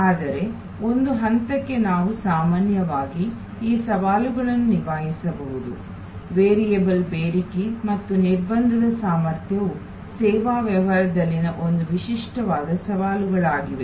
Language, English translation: Kannada, But, even to some extend we can address these challenges in general, the key challenge remains that the variable demand and constraint capacity is an unique set of challenges in service business